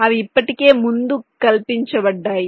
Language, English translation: Telugu, they are already pre fabricated